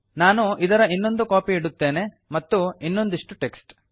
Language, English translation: Kannada, Let me put one more copy of this, some more text